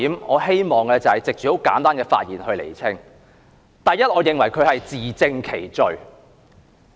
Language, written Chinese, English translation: Cantonese, 我希望藉着簡單的發言來釐清主要以下3點：第一，我認為她是自證其罪。, Through my brief speech I wish to clarify mainly the following three points First I think she has proven her own guilt